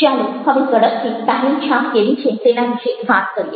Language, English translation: Gujarati, so lets look at quick talk of how is it first impression